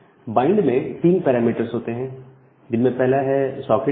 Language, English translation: Hindi, And the bind takes three parameters the socket id